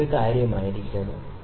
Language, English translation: Malayalam, This was one thing